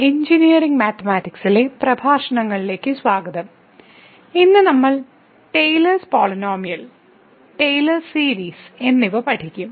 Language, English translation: Malayalam, Welcome back to the lectures on Engineering Mathematics I and today’s we will learn Taylor’s Polynomial and Taylor Series